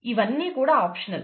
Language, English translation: Telugu, These are optional